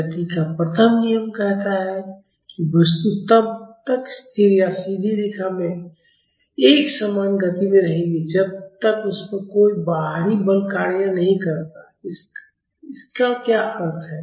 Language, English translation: Hindi, The first law of motion says that the object will remain at rest or in uniform motion in a straight line unless acted upon by an external force what is this mean